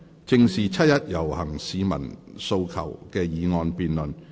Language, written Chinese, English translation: Cantonese, "正視七一遊行市民的訴求"的議案辯論。, The motion debate on Facing up to the aspirations of the people participating in the 1 July march